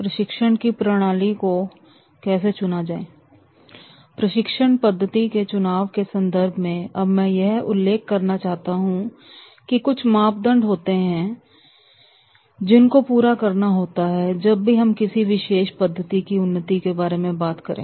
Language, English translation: Hindi, In context to choosing a training method, now I would like to choosing a training method, now I would like to mention that is there are certain criteria and those criteria are to be fulfilled whenever we talk about for the development of a particular method